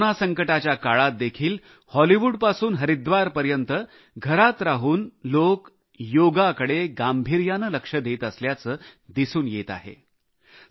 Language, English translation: Marathi, During the present Corona pandemic it is being observed from Hollywood to Haridwar that, while staying at home, people are paying serious attention to 'Yoga'